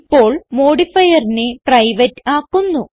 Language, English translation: Malayalam, We will now change the modifier to private